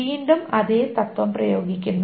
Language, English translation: Malayalam, Again, the same principle is applied